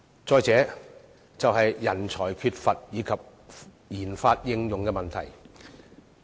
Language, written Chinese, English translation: Cantonese, 再者，政府必須解決人才短缺及研發應用的問題。, Moreover it is necessary for the Government to address the issues of a shortage of talents and the application of RD products